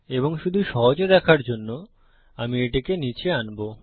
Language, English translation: Bengali, And just for easy viewing, I will bring this down